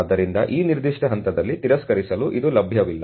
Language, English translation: Kannada, So, its unavailable to rejection at that particular stage